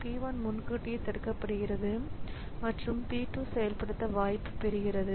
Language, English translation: Tamil, So, p 1 is preempted and p2 gets the chance for execution